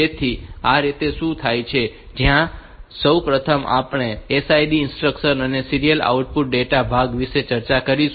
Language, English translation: Gujarati, So, this is how is it takes place, first of all we will discuss about the SIM instruction and the serial output part